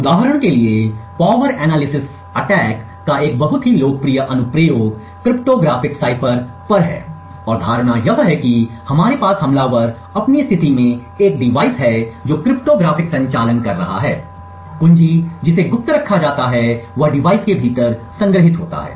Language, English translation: Hindi, For example, a very popular application of power analysis attacks is on cryptographic ciphers and the assumption is that we have the attacker has in his position a device which is doing cryptographic operations, the key which is kept secret is stored within the device